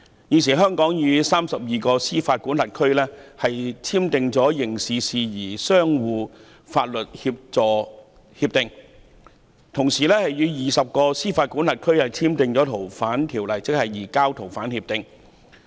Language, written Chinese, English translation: Cantonese, 現時香港與32個司法管轄區簽訂了刑事事宜相互法律協助協定，亦與20個司法管轄區簽訂了移交逃犯協定。, At present Hong Kong has signed with 32 jurisdictions agreements on mutual legal assistance in criminal matters and we have also signed agreements with 20 jurisdictions on the surrender of fugitive offenders